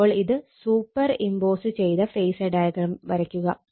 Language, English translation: Malayalam, So, just you superimpose and just draw the phasor diagram